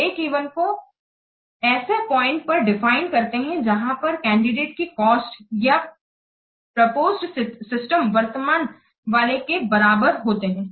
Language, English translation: Hindi, Break even is defined at the point where the cost of the candidate or the proposed system and that of the current one are equal